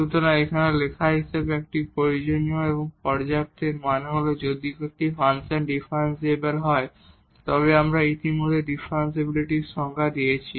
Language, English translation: Bengali, So, as written here it is a necessary and sufficient; that means if a function is differentiable we have given already the definition of the differentiability